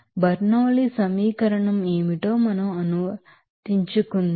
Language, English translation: Telugu, So, let us again apply that Bernoulli’s equation